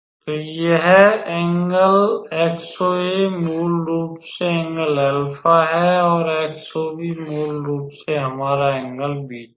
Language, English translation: Hindi, So, this angle XOA is basically angle alpha and XOB is basically our angle beta